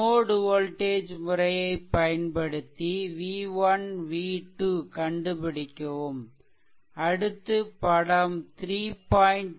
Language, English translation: Tamil, So, using node voltage method determine v 1 and v 2 of the circuit shown in figure 32 the chapter 3